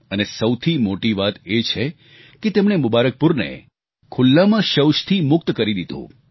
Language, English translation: Gujarati, And the most important of it all is that they have freed Mubarakpur of the scourge of open defecation